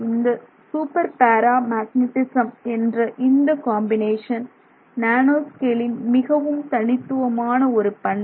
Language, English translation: Tamil, And so this super paramagnetism is a phenomenon that is seen in the nanoscale domain